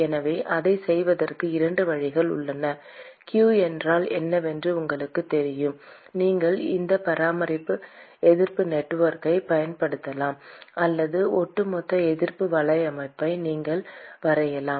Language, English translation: Tamil, So there are 2 ways of doing it : you know what q is, you could use this resistance network ; or you can draw overall resistance network also